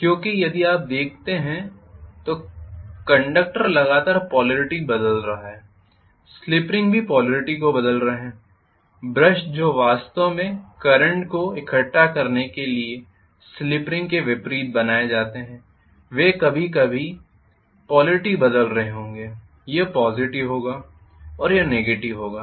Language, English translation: Hindi, Because if you look at it the conductor are continuously changing polarity the slip rings will be changing polarity the brushes which are actually pressed against the slip ring to collect the current they will also be changing polarity sometimes this will positive and this will be negative then after sometime this will become negative and this will become positive